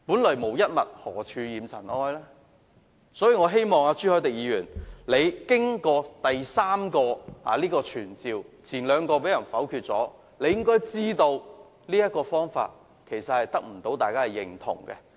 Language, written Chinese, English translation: Cantonese, 所以，經過3項傳召議案的辯論，而前兩項議案已被否決，我希望朱凱廸議員知道，這個方法無法得到大家認同。, Hence after the debate on three summoning motions and after the rejection of the first two motions I hope Mr CHU Hoi - dick can realize that this method is unacceptable to us